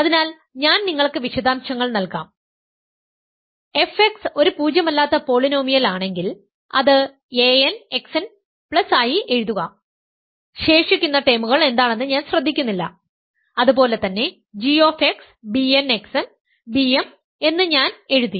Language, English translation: Malayalam, So, I will leave the details for you, if f x is a non zero polynomial write it as a n x n plus whatever I do not care what the remaining terms are, and similarly g x is b n x n, b m I will write and I do not care